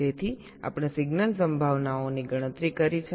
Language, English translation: Gujarati, so we have calculated the signal probabilities